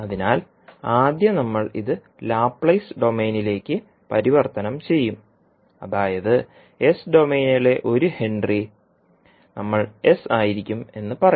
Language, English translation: Malayalam, So first we will convert it to Laplace domain that is we will say that 1 henry in s domain we will sell as s